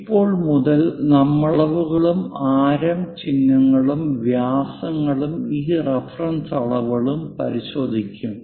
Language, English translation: Malayalam, As of now we will look at here dimensions and radius symbols, diameters and these reference dimensions